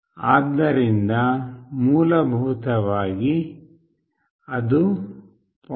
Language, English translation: Kannada, So basically, if it is 0